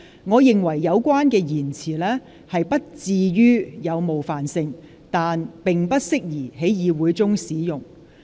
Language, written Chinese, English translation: Cantonese, 我認為有關言詞不至於有冒犯性，但並不適宜在議會中使用。, My view is that this expression is not really offensive but unparliamentary